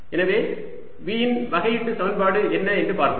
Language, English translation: Tamil, so let us see what is that differential equation